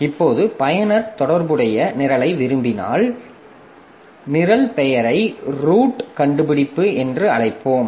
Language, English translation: Tamil, Now if the user wants that the corresponding corresponding program so let us call the program name as root find